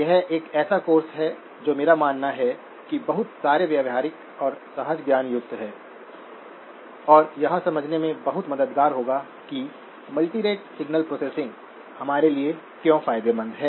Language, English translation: Hindi, This is a course that I believe has a lot of very practical and intuitive applications and will be very helpful in understanding why multirate signal processing is beneficial to us